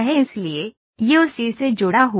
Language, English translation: Hindi, So, this is attached to that